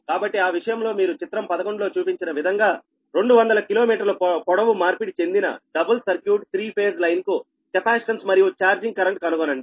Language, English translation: Telugu, so in that case you determine the capacitance and charging current of a two hundred kilometer long transposed double circuit three phase line as shown in figure eleven